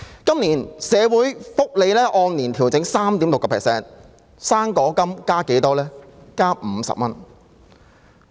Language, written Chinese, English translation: Cantonese, 今年的社會福利援助金按年調整 3.6%，" 生果金"增加了多少？, This years social welfare subsidies are adjusted by 3.6 % on an annual basis and how much has the Old Age Allowance OAA increased?